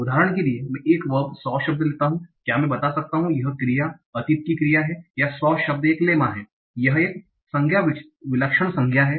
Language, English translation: Hindi, So example is I take a word like saw, can I tell the lemma is C and this is a past tense of that word or saw is the lemma and it's a noun, singular noun